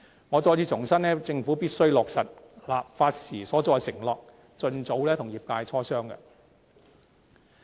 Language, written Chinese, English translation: Cantonese, 我重申，政府必須落實立法時所作的承諾，盡早與業界磋商。, I reiterate that the Government has to realize its undertaking made during legislation and discuss with the sector as soon as possible